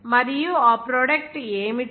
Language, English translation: Telugu, And what should be the product